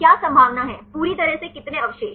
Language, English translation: Hindi, What is the probability, totally how many residues